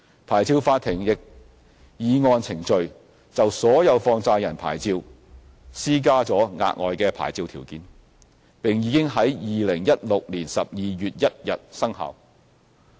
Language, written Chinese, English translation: Cantonese, 牌照法庭亦已按程序，就所有放債人牌照施加了額外牌照條件，並已於2016年12月1日生效。, The Licensing Court has in accordance with the procedures imposed on all money lender licences additional licensing conditions which took effect on 1 December 2016